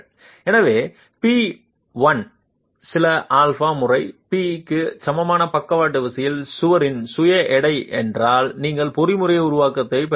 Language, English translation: Tamil, So, if P1 is the self weight of the wall itself at a lateral force equal to some alpha times p you are getting the mechanism formation